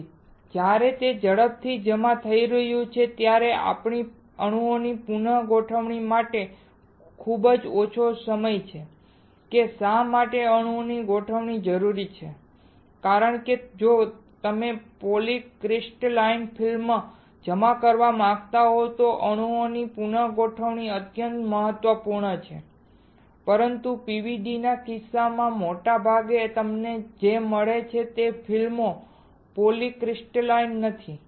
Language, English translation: Gujarati, So, when it is depositing rapidly we have very little time for the rearrangement of the atoms why the arrangement of atoms is required, because if you want to deposit a polycrystalline film then the rearrangement of atoms are extremely important, but in case of PVD most of the time what you find is the films is not polycrystalline